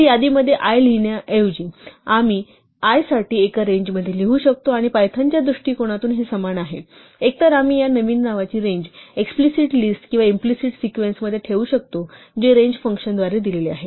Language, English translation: Marathi, So, instead of writing for i in a list, we can write for i in a range, and this is from the point of view of Python the same thing, either we can let this new name range over an explicit list or an implicit sequence given by the range function